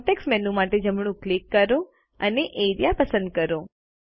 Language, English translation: Gujarati, Right click for the context menu, and select Area